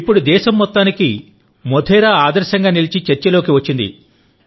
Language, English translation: Telugu, Look, now Modhera is being discussed as a model for the whole country